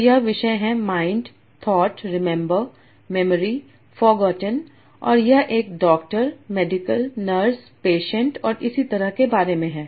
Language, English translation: Hindi, So this topic is about mind, thought, remember, memory, forgotten, and this is about doctor, medical, nurse, patients, and so on